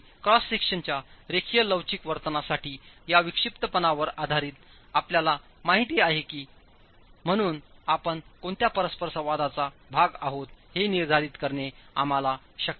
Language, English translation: Marathi, And as you know, based on this eccentricity for a linear elastic behavior of a cross section, it is possible for us to determine in which part of the interaction we are in